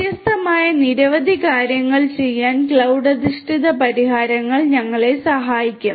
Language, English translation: Malayalam, Cloud based solutions will help us in doing a number of different things